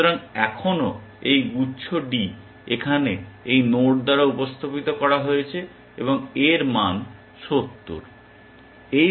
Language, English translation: Bengali, So, still this cluster D is represented by this node here and its value is 70